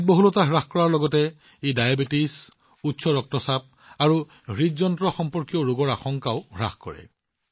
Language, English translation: Assamese, Along with reducing obesity, they also reduce the risk of diabetes, hypertension and heart related diseases